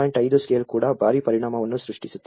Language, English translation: Kannada, 5 scale is creating a huge impact